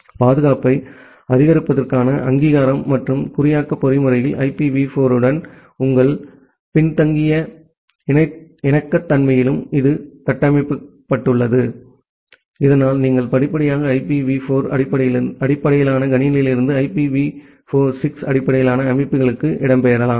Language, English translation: Tamil, Then this built in authentication and encryption mechanism to support security and a backward compatibility with IPv4 so, that you can gradually migrate from IPv4 based system to IPv6 based systems